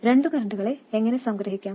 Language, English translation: Malayalam, And how do we sum two currents